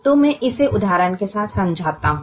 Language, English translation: Hindi, so let me explain this with the example